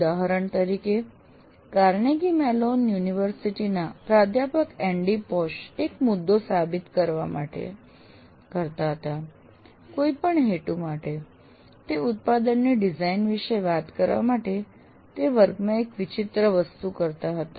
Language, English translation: Gujarati, For example, a famous one, one Professor Andy Posh of Carnegie Mellon University, he used to prove a point to whatever purpose you consider, he used to do a strange thing in his class to talk about product design